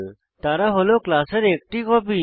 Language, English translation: Bengali, They are the copy of a class